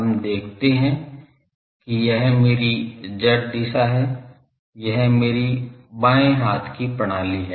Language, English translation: Hindi, Let us say that this is my z direction this is my left handed system